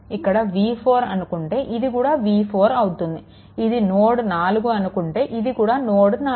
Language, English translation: Telugu, So, basically here it is 4 means here also it is v 4, if it is node number 4 means this is also 4 right